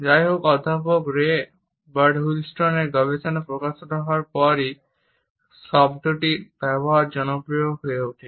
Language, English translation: Bengali, However, the usage of the term became popular only after the research of Professor Ray Birdwhistell was published